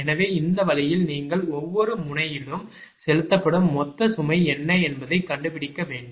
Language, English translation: Tamil, so this way you have to find out what is the total load fed through each node, right